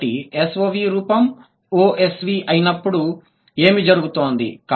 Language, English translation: Telugu, So, when SOV becomes OSV, what is happening